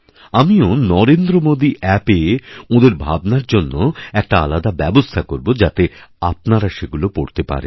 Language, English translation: Bengali, I too am making a separate arrangement for their experiences on the Narendra Modi App to ensure that you can read it